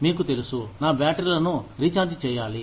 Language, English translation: Telugu, You know, just to recharge my batteries